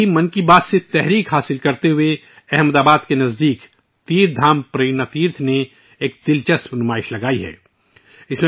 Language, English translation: Urdu, Similarly, inspired by 'Mann Ki Baat', TeerthdhamPrernaTeerth near Ahmadabad has organized an interesting exhibition